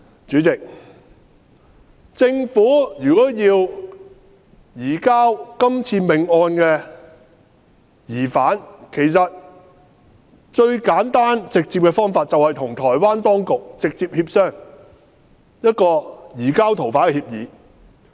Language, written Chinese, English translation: Cantonese, 主席，政府如果要移交這命案的疑犯，最簡單直接的方法便是與台灣當局直接協商移交逃犯的協議。, President if it is the wish of the Government to surrender the murder suspect the simplest and most straightforward approach will be to negotiate with the Taiwan authorities an agreement on the surrender of that fugitive . However the Government has not done so